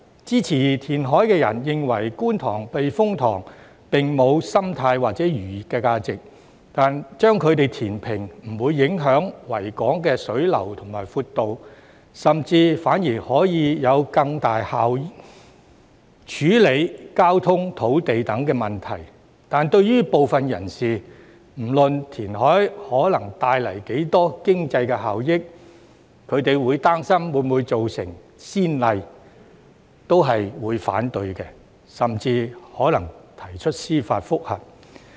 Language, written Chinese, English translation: Cantonese, 支持填海的人認為，觀塘避風塘並無生態或漁業價值，將其填平不會影響維港水流和闊度，甚至反而可以更有效處理交通、土地等問題，但對於部分人士，不論填海可帶來多大的經濟效益，他們亦擔心會否造成先例，所以提出反對，甚至可能提出司法覆核。, Those who support reclamation consider that the Kwun Tong Typhoon Shelter has no ecological or fishing value; and that its reclamation will not affect the water flow and width of the Victoria Harbour . On the contrary transport and land issues will be handled more effectively . However some people may still object to reclamation or even lodge a judicial review regardless of the economic benefits it may bring as they are worried that reclamation will set a precedent